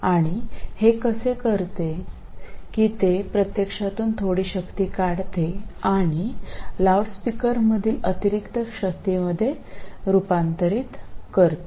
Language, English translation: Marathi, It actually draws some power from the and converts it into additional power in the loudspeaker